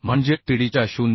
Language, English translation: Marathi, 3 that will be 0